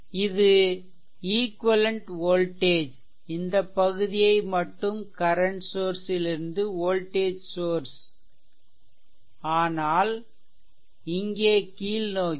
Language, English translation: Tamil, And this will be the equivalent voltage I mean you are transforming this portion only from your current source to the voltage, but look at this it is downward